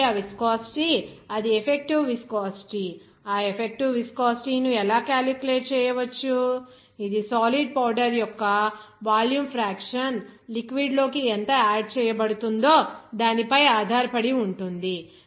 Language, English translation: Telugu, So, that viscosity, that will be effective viscosity, how to calculate that effective viscosity, that depends on how much volume fraction of the solid powder will be adding into liquid